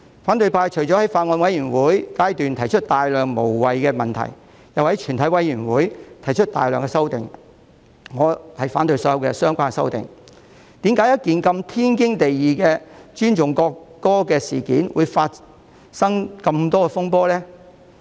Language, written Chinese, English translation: Cantonese, 反對派除了在法案委員會階段提出大量無謂的問題，又在全體委員會審議階段提出大量修正案——我反對所有相關的修正案——為何尊重國歌如此天經地義的事情，會發生這麼多風波呢？, In addition to putting forward a lot of unnecessary questions in the Bills Committee the opposition camp has also proposed a large number of amendments when the Bill is considered by the committee of the whole Council―I oppose all the relevant amendments―Why has such a natural behaviour as respecting the national anthem given rise to so many disturbances?